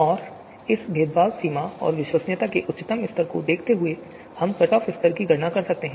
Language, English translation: Hindi, And you know given this discrimination threshold and highest degree of credibility, we can compute the cut off level